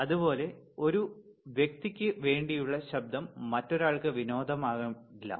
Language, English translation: Malayalam, Similarly, a noise for one person cannot be can be a entertainment for other person all right